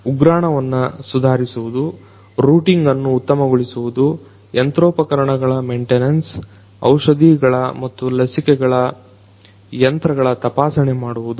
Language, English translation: Kannada, Improving warehousing, Optimizing routing, Maintenance of machines and equipment, Inspecting the machines of medicines and vaccines